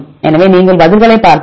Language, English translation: Tamil, So, if you look into the answers